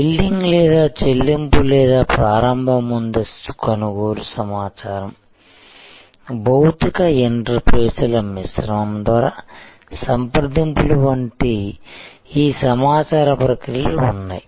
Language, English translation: Telugu, So, obviously these information processes like billing or payment or initial pre purchase information, consultation these were done through a mix of physical interfaces